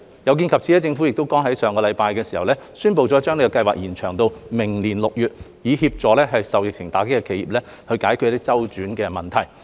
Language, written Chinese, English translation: Cantonese, 有見及此，政府剛於上星期宣布將申請期延長至明年6月，以協助受疫情打擊的企業解決資金周轉問題。, In view of the above the Government announced last week the extension of the application period by six months to June next year to assist enterprises hard hit by the epidemic in coping with cash flow problems